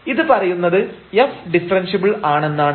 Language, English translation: Malayalam, So, this implies that f is differentiable